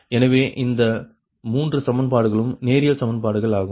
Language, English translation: Tamil, so these three equation, linear equations